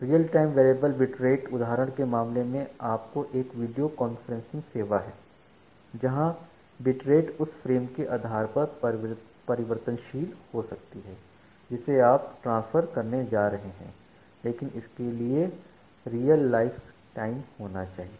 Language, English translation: Hindi, So, in case of real time variable bit rate example is some video conferencing service where the bit rate can be variable depending on the frames that you are going to transfer, but it need to be a real lifetime